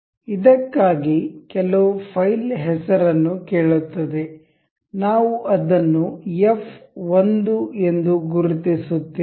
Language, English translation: Kannada, Ask us for this some file name, we will mark it as f 1